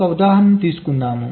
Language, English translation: Telugu, now lets take an example